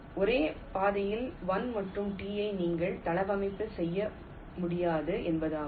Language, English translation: Tamil, it means you cannot layout one and two on the same track